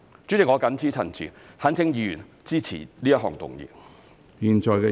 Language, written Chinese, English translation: Cantonese, 主席，我謹此陳辭，懇請議員支持這項議案。, With these remarks President I urge Members to support this motion